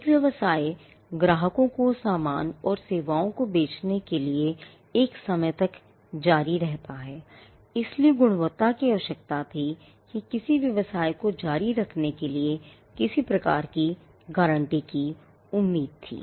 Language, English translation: Hindi, A business is something, which continues over a period of time selling goods and services to customers, so the quality was required or some kind of a guarantee was expected for a business to continue